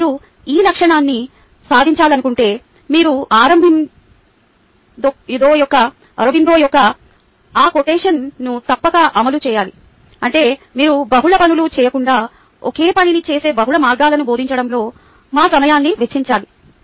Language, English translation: Telugu, now, if you want to achieve this goal, then you must implement this quotation of aurobindo, that is, you must spend our time in teaching multiple ways of doing the same thing rather than doing multiple things